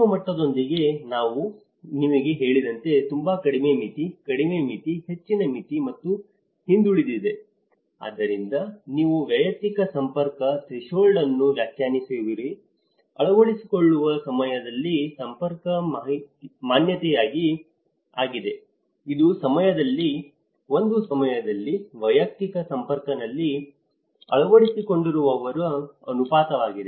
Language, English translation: Kannada, And with the micro level or the neighbourhood level, as I told you that there is a very low threshold, low threshold, high threshold and the laggards, so you have the personal network threshold which is defined as an adoption network exposure at the time of adoption, exposure is a proportion of adopters in an individual's person network at a point of time